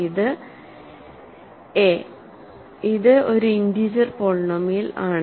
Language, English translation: Malayalam, So, it is a non constant polynomial